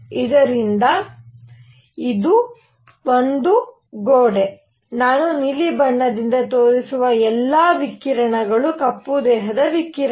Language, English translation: Kannada, So, this is a wall, all the radiation inside which I will show by blue is black body radiation